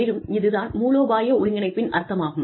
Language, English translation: Tamil, And, that is what, this whole strategic integration means